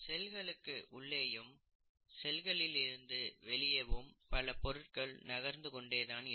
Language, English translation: Tamil, There is transport of substances into the cell, out of the cell and so on and so forth